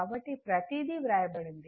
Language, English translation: Telugu, So, everything is written the